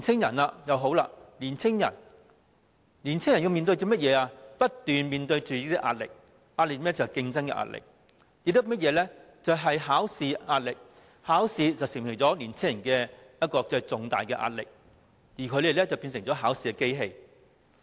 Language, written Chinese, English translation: Cantonese, 至於年青人，他們不斷面對壓力，有競爭的壓力，也有考試的壓力；考試對年青人構成重大壓力，而他們則變成考試機器。, As regards the young they face endless pressure . There is pressure from competitions and also pressure from examinations . Examinations have imposed enormous pressure on the young people and they have become examination machines